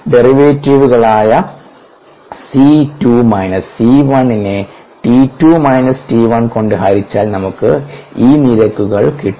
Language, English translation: Malayalam, we have these rates as derivatives: c two minus c one, divided by t two minus t one, and so on, so for